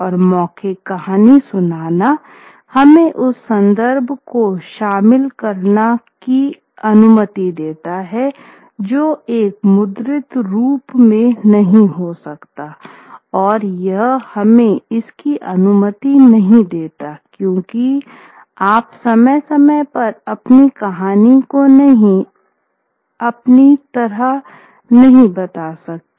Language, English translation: Hindi, And overall storytelling is allows us to include that reference which which a printed form may not allow us to, allow us to because you cannot adapt your story from time to time